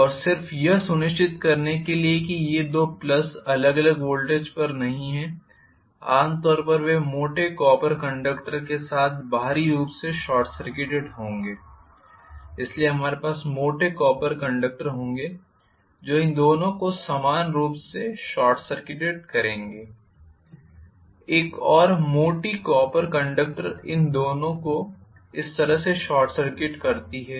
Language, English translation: Hindi, And just to make sure that the two pluses are not at different voltages normally they will be short circuited externally with thick copper conductor, so we will have thick copper conductors short circuited these two similarly, another thick copper conductor short circuiting these two like this, I am sorry I have just drawn in a very congested fashion